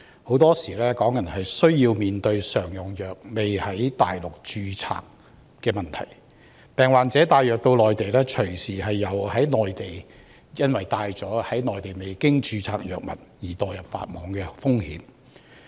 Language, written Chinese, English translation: Cantonese, 香港人經常面對常用藥未有在內地註冊的問題，病人帶藥物到內地，隨時因攜帶了在內地未經註冊的藥物而墮入法網。, A problem Hong Kong people often run into is their commonly - used drugs are yet to be registered on the Mainland . Patients who bring these drugs to the Mainland may inadvertently break the law for bringing unregistered drugs to the Mainland